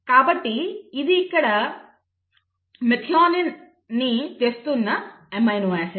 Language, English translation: Telugu, The first amino acid is methionine